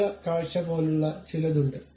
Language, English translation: Malayalam, There is something like section view